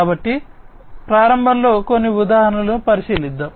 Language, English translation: Telugu, So, at the outset let us consider a few examples